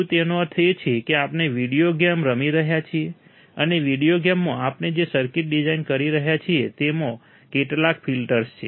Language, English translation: Gujarati, Is it means that we are playing a videogame and in the videogame the circuit that we are designing has some filters in it